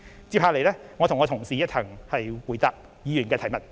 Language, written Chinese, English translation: Cantonese, 接下來我會與我的同事一同回答議員的提問。, In the following time my colleague and I stand ready to answer questions from Members